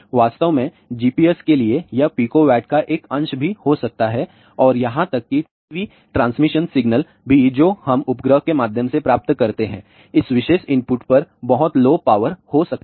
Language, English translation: Hindi, In fact, for GPS it can be even a fraction of Pico watt and even the TV transmission signal which we receive through the satellite also may have a very low power at this particular input